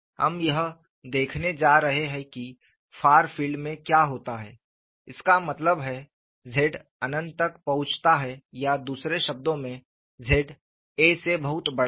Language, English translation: Hindi, We are going to look at what happens at the far field; that means, small zz approaches infinity or in other words z is much larger than a